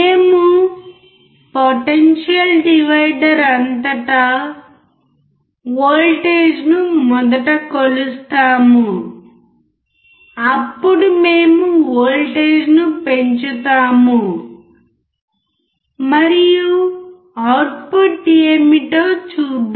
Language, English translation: Telugu, We will measure the voltage across the potential divider initially then we will increase the voltage and then we will see what is the output alright